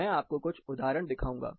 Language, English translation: Hindi, I will show you a few examples